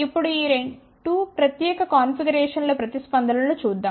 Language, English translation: Telugu, Now, let just look at the responses of these 2 particular configurations